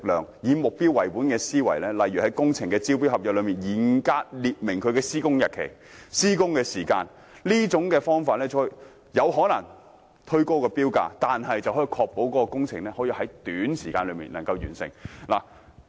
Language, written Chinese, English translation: Cantonese, 領展以目標為本的思維，在工程招標合約中嚴格列明施工日期和時間，這可能會推高標價，但卻可確保工程在短時間內完成。, Link REIT adopts a target - oriented approach and strictly stipulates the date of commencement and the duration of works in the tender contracts of its works . That may push up the tender price but it can also ensure that the works will be completed within a short time